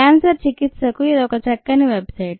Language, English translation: Telugu, this is a nice website for cancer treatment